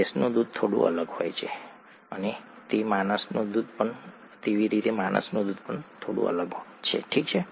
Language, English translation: Gujarati, Buffalo milk is slightly different and human milk is slightly different, okay